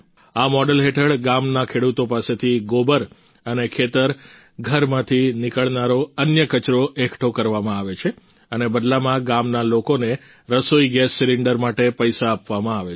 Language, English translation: Gujarati, Under this model, dung and other household waste is collected from the farmers of the village and in return the villagers are given money for cooking gas cylinders